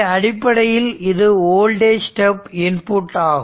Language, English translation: Tamil, So, basically it is a voltage step input